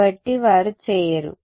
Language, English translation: Telugu, So, they do not